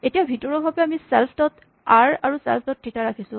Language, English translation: Assamese, Now internally we are now keeping self dot r and self dot theta